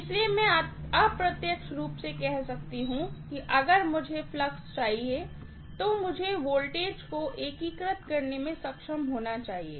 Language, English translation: Hindi, So, I can indirectly say if I want flux, I should be able to integrate the voltage